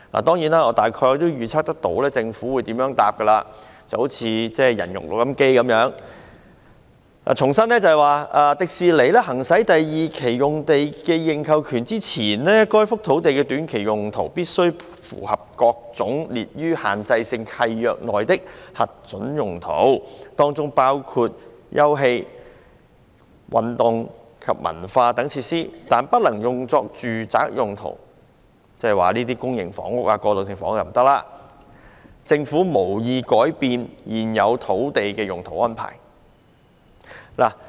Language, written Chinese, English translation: Cantonese, 當然，我大概預料到政府將如何回答——恍如"人肉錄音機"一樣——重申在迪士尼公司"行使第二期用地的認購權之前，該幅土地的短期用途須符合各類列於限制性契約內的核准用途，當中包括休憩、體育及文化等設施，但不能用作住宅用途"——即公營房屋和過渡性房屋均不可興建——政府"無意改變現有土地用途安排。, Certainly I can probably predict how the Government would respond―just like a human recorder―by reiterating that before The Walt Disney Company TWDC exercises the Option for the Phase 2 site the short - term uses of the site have to comply with various permitted uses as listed in the Deed of Restrictive Covenant DRC including recreational sports and cultural facilities etc but not residential use that is development of public housing and transitional housing is not allowed and the Government has no intention to change the existing land use arrangements